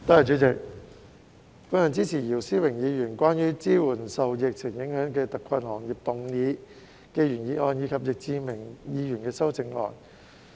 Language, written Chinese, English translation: Cantonese, 主席，我支持姚思榮議員關於"支援受疫情影響的特困行業"的原議案，以及易志明議員的修正案。, President I support the original motion of Mr YIU Si - wing on Providing support for hard - hit industries affected by the epidemic and Mr Frankie YICKs amendment